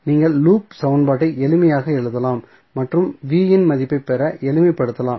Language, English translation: Tamil, So, what you can do, you can just simply write the loop equation and simplify to get the value of Vth